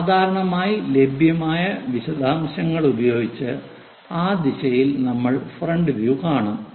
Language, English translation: Malayalam, Usually, the details which are available many that direction we will pick it as frontal view most of the times